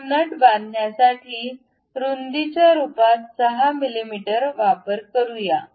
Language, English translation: Marathi, So, let us use 6 mm as the width to construct this nut